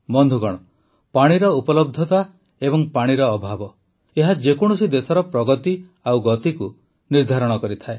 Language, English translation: Odia, Friends, the availability of water and the scarcity of water, these determine the progress and speed of any country